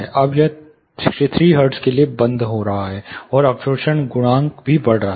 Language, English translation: Hindi, Now it is getting much closure to 63 hertz, and the absorption coefficient is also increasing